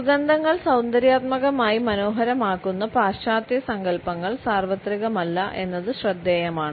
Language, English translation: Malayalam, It is interesting to note that the Western notions of which fragrances are aesthetically pleasant is not universal